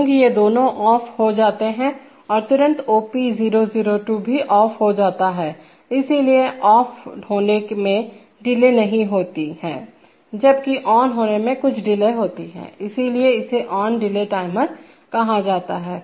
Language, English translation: Hindi, Immediately these two become off and immediately the OP002 also becomes off, so there is no delay in getting off, while there is some delay in getting ON, that is why it is called an ON delay timer